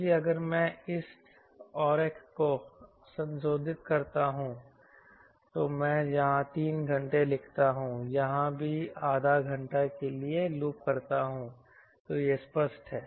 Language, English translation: Hindi, ok, so if i modify this diagram, i write here: loiter three hours and loiter here also for half hour, half an hour or thirty minutes, then land